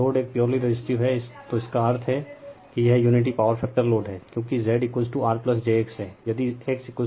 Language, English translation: Hindi, If load is purely resistive means it is unity power factor load, because Z is equal to say R plus j X